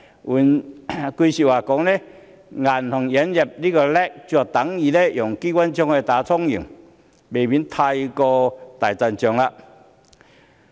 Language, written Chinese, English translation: Cantonese, 換句話說，銀行引入 LAC 是等於用機關槍來打蒼蠅，未免過於大陣仗。, In others words introducing LAC requirements for banks is the same as using a machine gun to kill flies . It is an over - reacted move